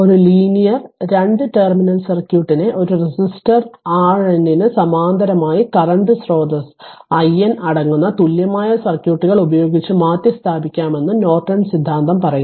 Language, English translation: Malayalam, So, Norton theorem states that a linear 2 terminal circuit can be replaced by an equivalent circuits consisting of a current source i N in parallel with a resistor R n